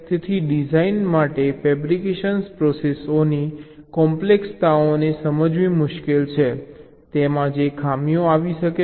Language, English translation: Gujarati, so it is difficult for the designer to understand the intricacies of the fabrication processes, defaults that can occur there in ok